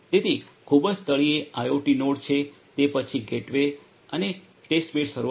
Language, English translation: Gujarati, So, at the very bottom is the IoT node, then is the gateway and the testbed server